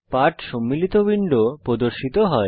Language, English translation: Bengali, The window comprising the lesson appears